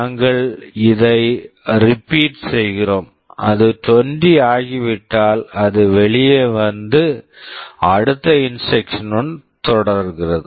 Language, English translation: Tamil, We repeat this and once it becomes 20, it comes out and continues with the next instruction